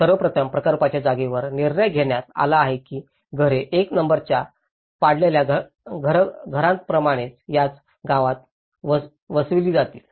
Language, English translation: Marathi, First of all, the site of the project it was decided that the houses will be built in the same village boundaries as the demolished houses that is number 1